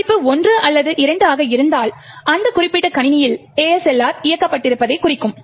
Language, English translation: Tamil, If, the value is either 1 or 2 it would mean that ASLR is enabled on that particular system